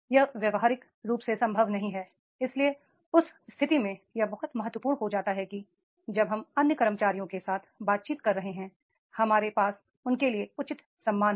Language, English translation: Hindi, So, therefore in that case it becomes very important that when we are interacting with the other employees, we have the due respect for them